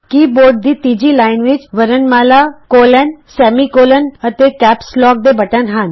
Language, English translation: Punjabi, The third line of the keyboard comprises alphabets,colon, semicolon, and Caps lock keys